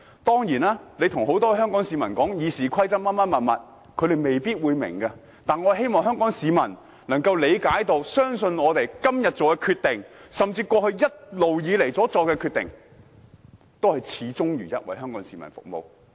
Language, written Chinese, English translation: Cantonese, 當然，向很多香港市民解釋《議事規則》等，香港市民未必明白，但我希望香港市民相信，我們今天所作的決定，甚至過去一直以來所作的決定，均是始終如一為香港市民服務。, Many Hong Kong people may fail to understand if we explain the Rules of Procedure to them but I hope they will believe that the decision we made today and even the decisions we made in the past are invariably for the purpose of serving Hong Kong people